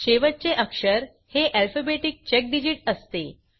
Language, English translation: Marathi, The last character is an alphabetic check digit